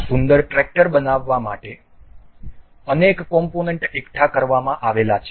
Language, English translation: Gujarati, This build of multiple components that have been accumulated to form this beautiful tractor